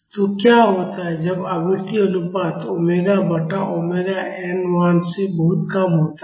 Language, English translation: Hindi, So, what happens when the frequency ratio omega by omega n is much less than 1